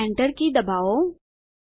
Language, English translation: Gujarati, Now press the Enter key